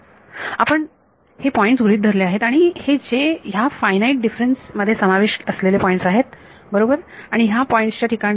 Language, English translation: Marathi, We have considered this point and these are the points that have been involved in these finite differences right H z at these points